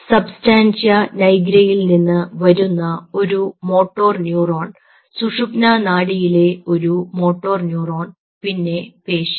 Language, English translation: Malayalam, say, for example, a motor neuron coming from substantia nigra, a motor neuron in the spinal cord and here is the muscle